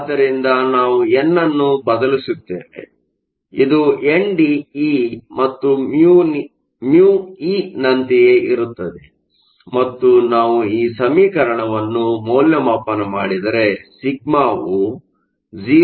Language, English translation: Kannada, So, we substitute n, which is the same as n d e and mu e and if we evaluate the expression you get sigma to be equal to 0